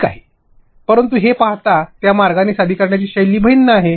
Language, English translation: Marathi, But it is simply the way you see it, the presentation style differs